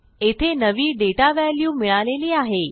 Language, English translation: Marathi, Weve got our data values in here